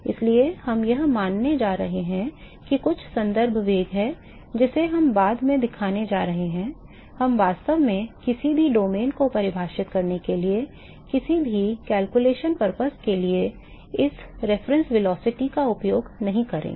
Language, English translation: Hindi, So, what we are going to do is we going to assume that there is some reference velocity we are going to show later that we will not be using this reference velocity for any of the calculation purposes in fact, to even define any of the domains